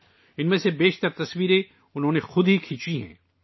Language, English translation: Urdu, Most of these photographs have been taken by he himself